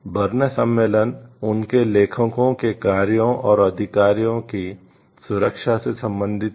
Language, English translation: Hindi, The Berne convention deals with the protection of the works and rights of their authors